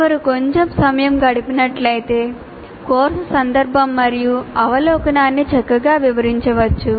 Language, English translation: Telugu, If one spends a little time, it can be nice, the course context and over you can be nicely explained